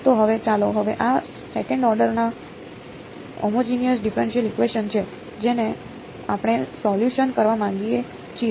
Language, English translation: Gujarati, So, now, let us now this is the second order homogenous differential equation that we want to solve ok